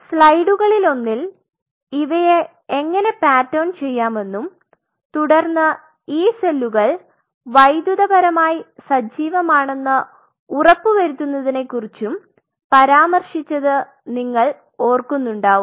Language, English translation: Malayalam, As if you remember in one of the slides we mention that how we can pattern them followed by even if you can go this part you have to ensure that these cells are electrically active